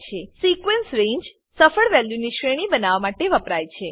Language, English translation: Gujarati, Sequence range is used to create a range of successive values